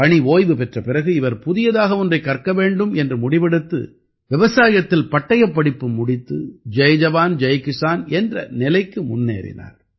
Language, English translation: Tamil, After retirement, he decided to learn something new and did a Diploma in Agriculture, that is, he moved towards Jai Jawan, Jai Kisan